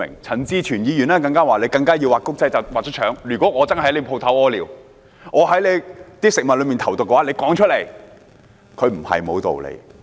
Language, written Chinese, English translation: Cantonese, 陳志全議員認為"畫公仔要畫出腸"，如果他真的在店鋪門口小便，或在食物裏投毒，老闆應說出來，他也不是沒有道理。, Mr CHAN Chi - chuen said the authorities should state the obvious . Thus if the customer had urinated at the shop entrance or had put poison in the food the boss should have spelled it out . Mr CHANs argument is not invalid either